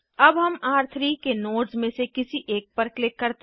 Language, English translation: Hindi, Let us click on one of the nodes of R3